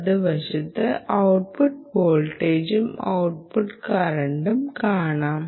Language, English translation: Malayalam, the right side is the output voltage and the output current that you see